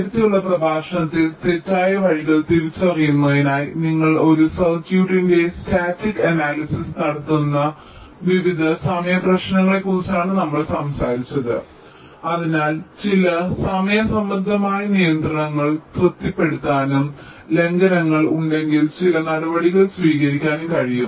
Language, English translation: Malayalam, ah, in the earlier lectures we talked about various timing issues where you do static analysis of a circuit to identify false paths and so on, so that some timing related constraints can be satisfied and if there are violations, some measures can be taken